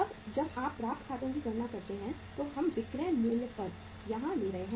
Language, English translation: Hindi, Now when you calculate the accounts receivable we will be taking here at the selling price